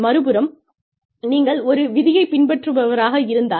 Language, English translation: Tamil, On the other hand, if you are a rule follower